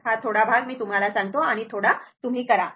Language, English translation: Marathi, This part little I told you little bit you do it